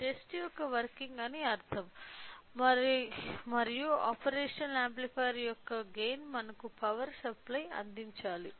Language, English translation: Telugu, So, in order to do in order to understand the test the working and the gain of this operational amplifier we have to provide a power supply